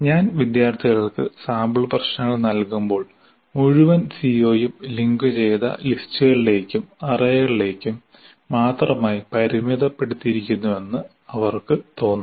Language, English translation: Malayalam, So when I give sample problems to the students, they will feel that the entire CO is only constrained to linked list and arrays